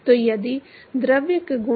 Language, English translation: Hindi, So, if the properties of the fluid